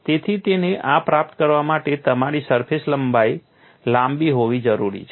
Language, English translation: Gujarati, So, for it to attain this, you need to have a long surface length